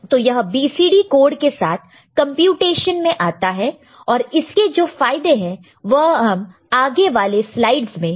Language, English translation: Hindi, So, this is coming in computation with you know BCD code, and accordingly we shall see the benefit, in subsequent slides